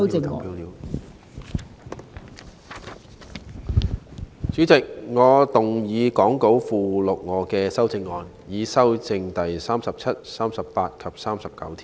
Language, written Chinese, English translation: Cantonese, 代理主席，我動議講稿附錄我的修正案，以修正第37、38及39條。, Deputy Chairman I move my amendments to amend clauses 37 38 and 39 as set out in the Appendix to the Script